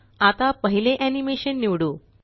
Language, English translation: Marathi, Select the second animation